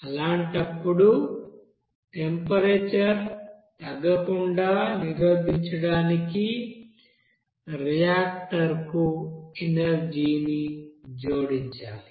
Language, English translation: Telugu, In that case, energy must be added to the reactor to prevent the temperature from decreasing